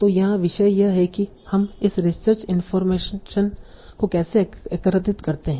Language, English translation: Hindi, So now the topic here is how do we gather this instruction information